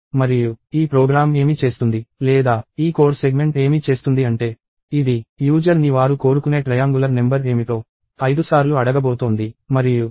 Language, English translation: Telugu, And what this program does is or what this code segment does is – it is going to ask the user five times for what is the triangular number that they want